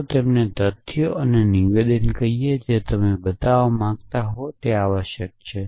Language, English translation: Gujarati, Let us call them facts and statements which you want to show to be true essentially